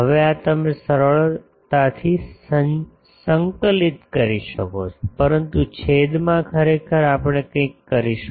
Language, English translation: Gujarati, Now, this you can easily integrate but in the denominator actually we will do something